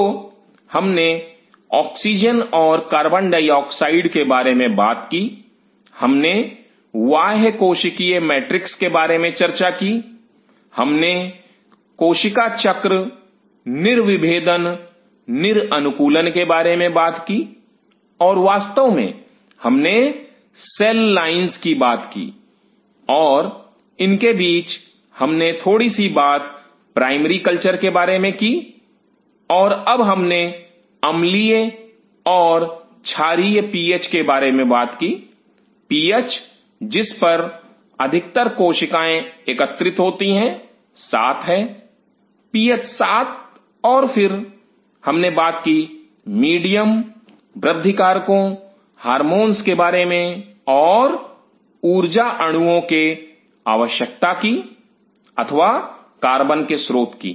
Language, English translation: Hindi, So, we talked about oxygen and carbon dioxide we talked about extra cellular matrix, we talked about the cell cycle dedifferentiation de adaptation and of course, we talked about the cell lines and in between we have talked about little bit very little bit about primary culture and now we talked about then we talked about the PH acetic or basic PH where the most of the cell groups at 7; PH 7 and then we talked about medium growth factors hormones and the need for energy molecules or source of carbons source of carbon